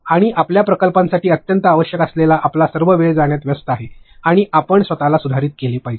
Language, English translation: Marathi, And all of your time which is very critical to your projects gets engaged in to going and you know improving oneself